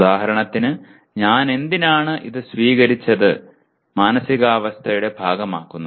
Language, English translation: Malayalam, For example why should I accept this and make it part of my, what do you call my mindset